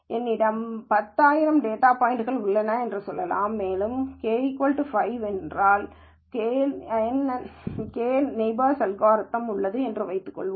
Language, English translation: Tamil, Let us say I have 10000 data points, and let us assume that I have an algorithm k nearest neighbor algorithm with K equal to 5